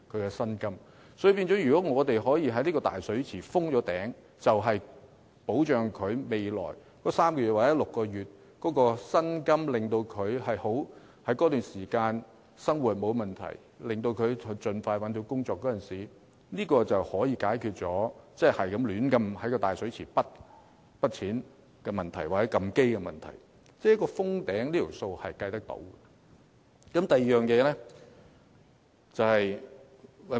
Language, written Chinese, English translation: Cantonese, 因此，如果我們可以為這個"大水池"封頂，讓失業的員工在未來3個月或6個月的生活得到保障，依靠這筆錢令生活不成問題，從而盡快找到新工作，便可解決任意取之於"大水池"或隨意"提款"的問題，因為"封頂"的金額是有數得計的。, Hence if we can impose a cap on this big pool to provide unemployed staff members with livelihood protection for the next three or six months thereby enabling them to make ends meet with this sum of money and get a new job as soon as possible we can then prevent the practice of arbitrarily drawing money from the big pool or making withdrawal at will because the amount will be subject to a cap